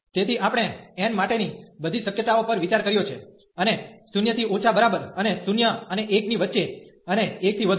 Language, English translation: Gujarati, So, we have considered all the possibilities for n, and less than equal to 0 and between 0 and 1 and greater than equal to 1